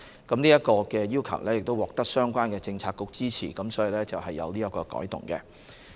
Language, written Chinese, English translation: Cantonese, 這個要求獲得相關政策局支持，所以作出了這樣的改動。, This request was supported by the relevant Policy Bureau and therefore such a change is made